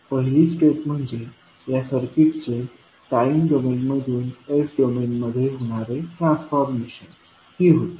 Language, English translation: Marathi, So these three steps, first step was the transformation of this circuit from time domain into s domain